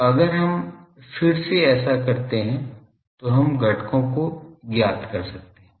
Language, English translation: Hindi, So, if we do that again then we can find out the components